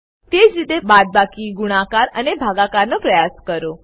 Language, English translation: Gujarati, Similarly, try subtraction, multiplication and division